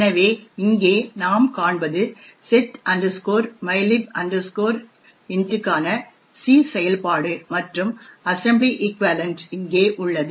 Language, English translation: Tamil, So, what we see over here is the C function for setmylib int and the assembly equivalent is here